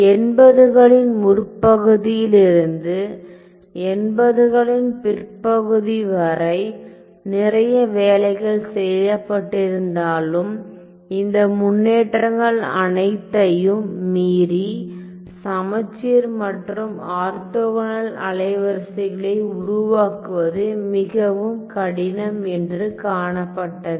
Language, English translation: Tamil, Well it was seen although lot of work was done in the early 80s to late 80s, but it was seen that despite all these development it was seen that it is very difficult to construct symmetric and orthogonal wavelets